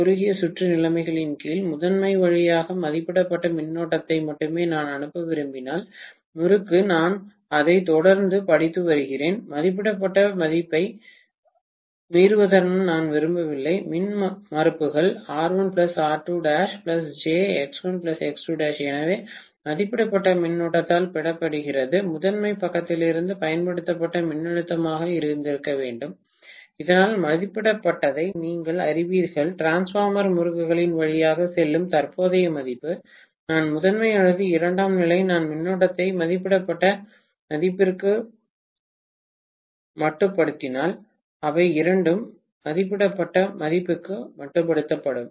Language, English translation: Tamil, Under short circuit conditions if I want to pass only rated current through the primary winding, I am reading it continuously and I do not want that to exceed the rated value, the impedances R1 plus R2 dash plus j into X1 plus X2 dash, so that multiplied by rated current should have been the applied voltage from the primary side, so that it will only actually you know put the rated value of current passing through the transformer windings, whether I look at the primary or secondary, if I limit the current to rated value, both of them will be limited to rated value, okay